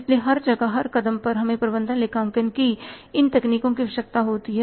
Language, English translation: Hindi, So, everywhere at every step we need this techniques of management accounting